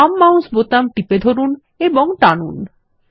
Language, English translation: Bengali, Hold the left mouse button and drag